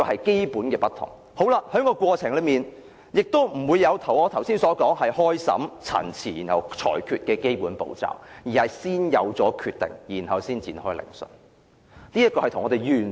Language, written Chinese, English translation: Cantonese, 整個過程也不存在我剛才所說的審訊、陳辭、裁決的基本步驟，而是先有決定，才展開聆訊的。, The whole process is likewise ripped of the basic proceedings I mentioned just now such as conducting trial making submissions and delivering the verdict . Rather it is based on the decision made before the commencement of court hearings